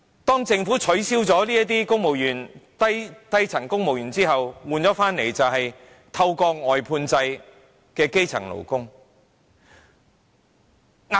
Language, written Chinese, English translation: Cantonese, 當政府取消了數以萬計的低層公務員職位後，換來的是透過外判制聘請的基層勞工。, When the Government abolished tens of thousands of junior civil servant posts grass - roots workers are employed under the outsourcing system to be their stand - ins